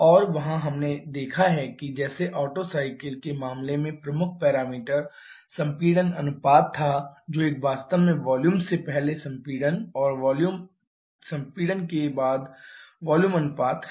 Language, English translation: Hindi, And there we have seen that like in case of |Otto cycle the major parameter was the compression ratio which is a volume ratio actually volume before compression and volume after compression